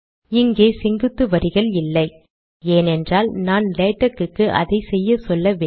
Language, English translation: Tamil, I dont have the vertical lines thats because I didnt tell latex to do that